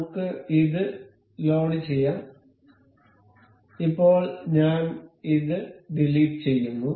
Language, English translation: Malayalam, Let us just load it, I will delete this one